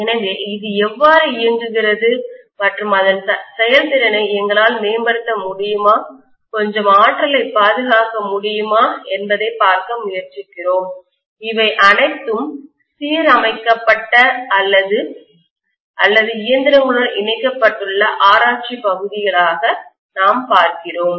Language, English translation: Tamil, So we are trying to look at how it works and whether we can improve any of its efficiency, whether we can conserve some energy, all these things we look at as research areas which are aligned or which are connected to the machines